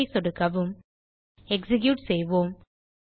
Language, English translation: Tamil, Click on Save let us execute